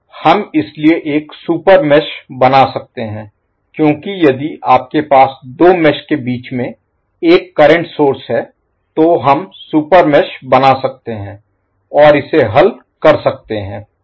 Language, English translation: Hindi, So what we can do, we can create a super mesh because if you have current source between 2 messages, we can create super mesh and solve it